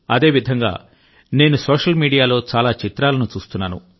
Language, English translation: Telugu, Similarly I was observing numerous photographs on social media